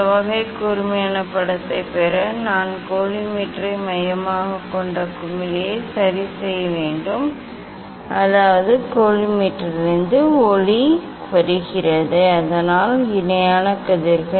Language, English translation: Tamil, to get this type of sharp image, I have to adjust the collimator focusing knob so; that means, the light is coming from the collimator so that is parallel rays